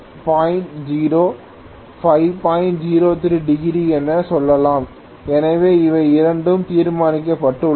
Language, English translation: Tamil, 03 degrees, so these two have been solved